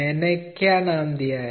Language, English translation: Hindi, What I have named